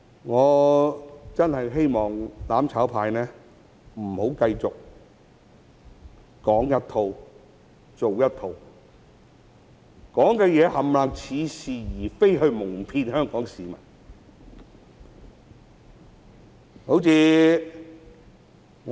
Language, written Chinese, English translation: Cantonese, 我真的希望"攬炒派"不要繼續說一套、做一套，盡說似是而非的話來矇騙香港市民。, I really hope that the mutual destruction camp will stop being two - faced deceiving Hong Kong people with specious arguments